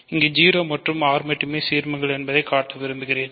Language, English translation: Tamil, I want to show that 0 and R are the only ideals